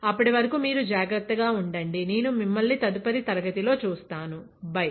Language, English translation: Telugu, Till then, you take care; I will see you in next class, bye